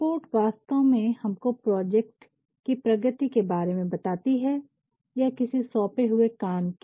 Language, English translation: Hindi, Reports actually let us know the progress of a project the progress of an assignment